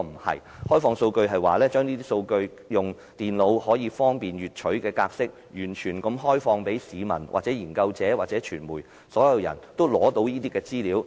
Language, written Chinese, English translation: Cantonese, 開放數據的意思是，要透過方便電腦閱取的格式來提供數據，完全開放資料予全部市民、研究者和傳媒，讓他們能夠獲取實時資料。, Open data means to make available all information in digital formats for convenient and real - time retrieval by all people researchers and the media